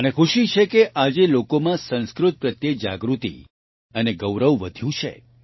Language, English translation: Gujarati, I am happy that today awareness and pride in Sanskrit has increased among people